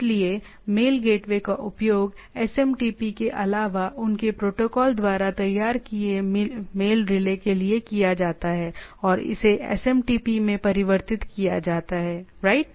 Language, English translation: Hindi, So, mail gateway are used to mail relay prepared by their protocol other than SMTP and convert it to the SMTP, right